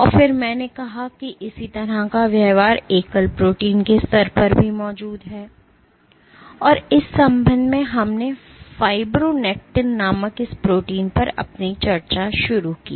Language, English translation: Hindi, And then I said that similar behaviour also exists at the level of a single protein and in that regard, we started our discussion on this protein called fibronectin right